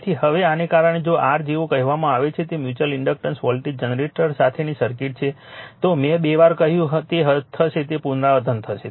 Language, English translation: Gujarati, So, now because of this if like your way or your what you call that is a circuit with mutual inductance voltage generator, I told you twice it will be it will be repeated right